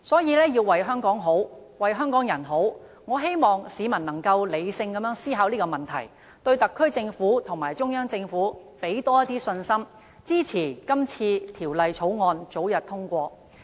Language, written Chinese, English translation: Cantonese, 因此，為了香港好、香港人好，我希望市民能理性思考這問題，對特區政府和中央政府多些信心，支持《條例草案》早日通過。, Hence for the benefit of Hong Kong and its people I hope the public can consider this problem rationally place more faith in the SAR Government and the Central Government and support the expeditious passage of the Bill